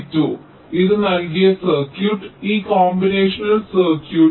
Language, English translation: Malayalam, this is the circuit which is given, this combination circuit